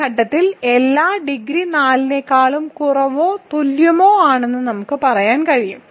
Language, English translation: Malayalam, So, at this point all we can say is that is the degree is less than or equal to 4